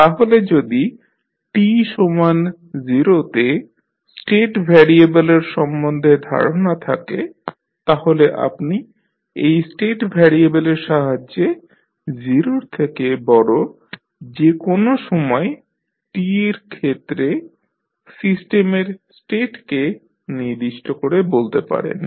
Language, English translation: Bengali, So, if you have knowledge for related to this state variable at time t is equal to 0 you can specify the system state for any time t greater than 0 with the help of these state variables